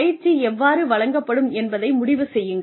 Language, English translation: Tamil, Decide on, how the training will be imparted